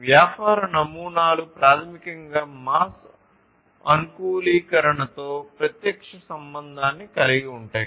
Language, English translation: Telugu, So, business models basically have direct linkage with the mass customization